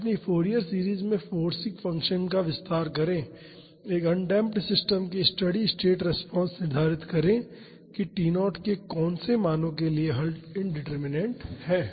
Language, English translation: Hindi, Expand the forcing function in its Fourier series, determine the steady state response of an undamped system for what values of T naught is the solution indeterminate